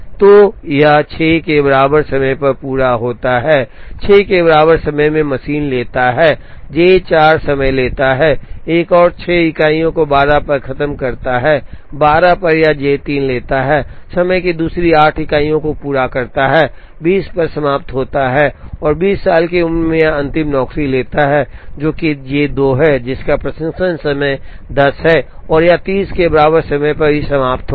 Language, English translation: Hindi, So, this is complete at time equal to 6, at time equal to 6, the machine takes up J 4 takes another 6 units of time do finishes at 12, at 12 it takes up J 3 takes another 8 units of time finishes at 20 and at 20, it takes up the last job, which is J 2, which has a processing time of 10 and this will finish at time equal to 30